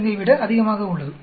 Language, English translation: Tamil, 097, which is much larger than 0